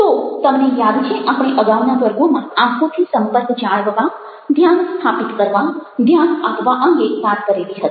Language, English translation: Gujarati, so you remember, in the earlier classes we talked about maintaining eye contact, establishing be attentive, but how exactly are you boing